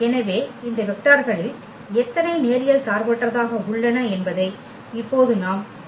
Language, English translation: Tamil, So, these may not be the basis now we have to just find out that how many of these vectors are linearly independent